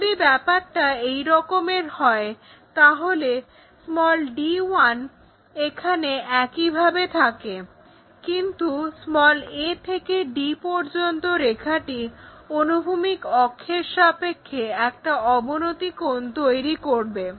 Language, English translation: Bengali, If that is the case, d 1 remains same there, but a a to d is going to make an inclination angle with respect to our horizontal axis